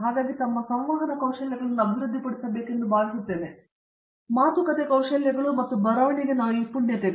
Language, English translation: Kannada, So, I think they should develop their communication skills as well, both speaking skills as well as writing skills